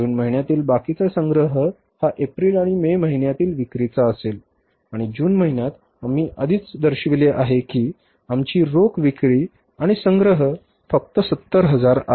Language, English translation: Marathi, Remaining collection will be for the month of April and for the month of May and for the month of June we have already shown that our cash sales and collections are only 70,000s